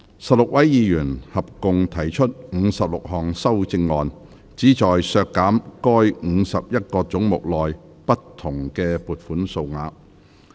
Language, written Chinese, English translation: Cantonese, 16位議員合共提出56項修正案，旨在削減該51個總目內不同的撥款數額。, Sixteen Members have proposed a total of 56 amendments which seek to reduce the various sums for the 51 heads